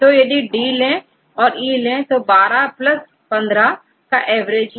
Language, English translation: Hindi, So, if we take the D and E 12 plus 15 what is the average